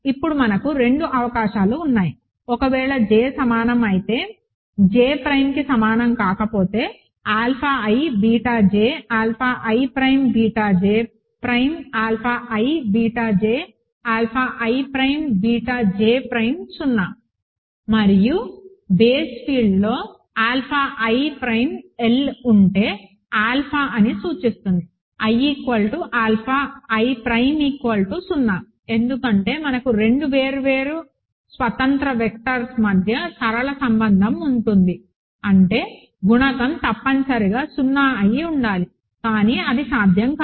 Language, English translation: Telugu, Now, we have two possibilities, if j is equal to, if j is not equal to j prime then alpha i beta j, alpha i prime beta j prime is 0 with alpha i and alpha i prime in the base field L implies that alpha i equals alpha i prime equal to 0, right, because we have a linear relation between two different independent vectors; that means, the coefficient must be 0, but this is not possible